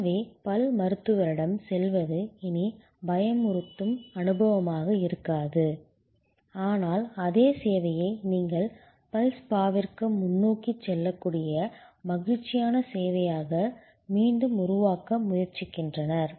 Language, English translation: Tamil, So, going to the dentist is no longer a fearful experience, but they are trying to recreate that same service as a pleasurable service that you can go forward to the dental spa